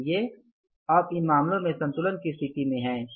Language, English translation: Hindi, So, we are in the balanced state of affairs